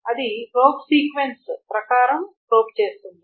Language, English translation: Telugu, And it probes according to a probe sequence